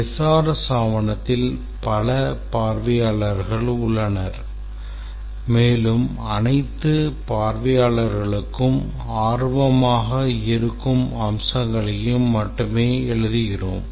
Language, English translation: Tamil, The SRS document has several audience and we write only those aspects which are of interest to all the audience